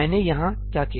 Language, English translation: Hindi, What did I do here